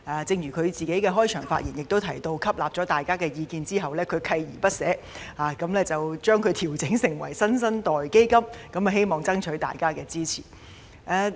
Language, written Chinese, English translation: Cantonese, 正如她在開場發言時提到，她在吸納大家的意見後，鍥而不捨，將嬰兒基金調整為"新生代基金"，希望爭取大家的支持。, As she mentioned in her opening speech after taking on board Members views she has persevered and changed the baby fund to a New Generation Fund in the hope of winning Members support